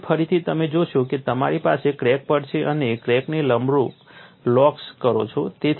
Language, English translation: Gujarati, And here again you will find you will have a crack and you do the locks perpendicular to the crack